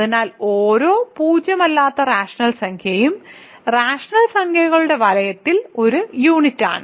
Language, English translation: Malayalam, So, every non zero rational number is a unit in the ring of rational numbers